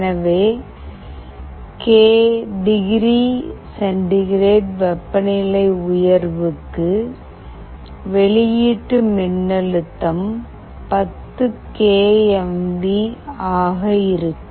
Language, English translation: Tamil, So, for k degree centigrade rise, the output voltage will be 10k mV